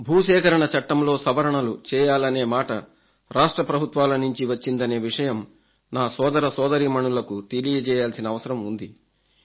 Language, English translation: Telugu, But today, I want to tell all my farmer brothers and sisters that the request to reform the 'Land Acquisition Act' was raised by the states very emphatically